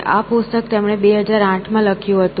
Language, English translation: Gujarati, So, that is the book he wrote in 2008